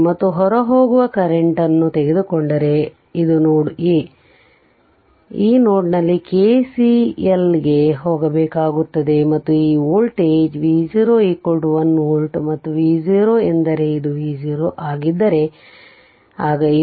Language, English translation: Kannada, And if we take the current leaving this is node a we have to go for a KCL at this node right and this voltage this voltage is V 0 is equal to 1 volt and V 0 means your this is my V 0 if this is minus, then this is plus right